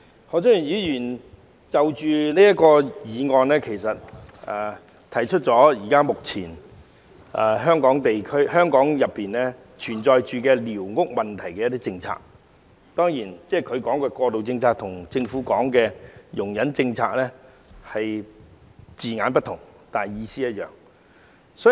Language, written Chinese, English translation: Cantonese, 何俊賢議員在其項議案中指出香港寮屋政策現時存在的問題，雖然他所說的"過渡政策"跟政府說的"容忍政策"在字眼上有異，但意思相同。, In his motion Mr HO has pointed out the existing problems with Hong Kongs policy on surveyed squatter structures . Although the term interim policy that he used is different from the toleration policy referred to by the Government in terms of wording both are actually of the same meaning